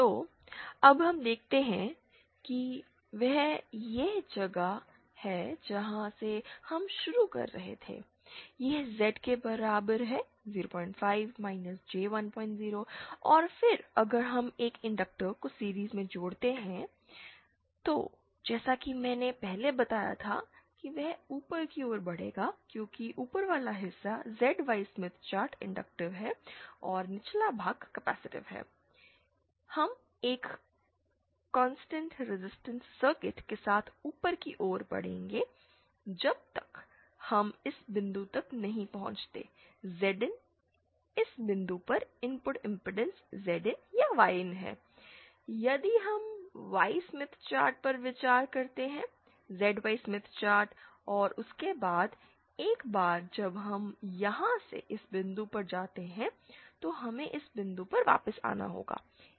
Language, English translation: Hindi, 0 and then if we connect an inductor in series then as I had mentioned before that it will be moving upwards because the upward part of the ZY Smith chart is inductive and the lower part is capacitive, we will be moving upwards along a constant resistance circle till we reach this point say Zin at this point the input impedance is Zin or Yin, if we consider the Y Smith chart in the ZY Smith chart